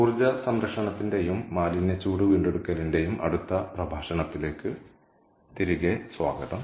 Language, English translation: Malayalam, ok, welcome back and ah to the next lecture of energy conservation and waste heat recovery